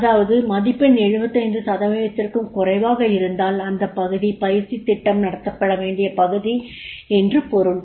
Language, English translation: Tamil, Wherever the score is less than 75 percent it means that this is the area where the training program is to be conducted